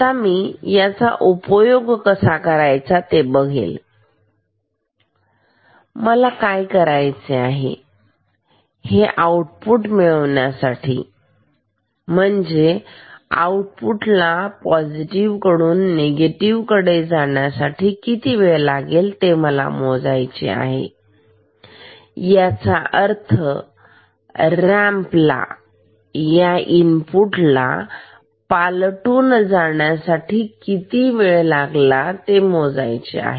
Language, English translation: Marathi, Now, this I will use now what I will do, I will measure the time we required for this output to go from positive to negative, which means the time required for this ramp to cross the input ok